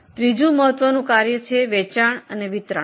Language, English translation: Gujarati, The third important function is selling and distribution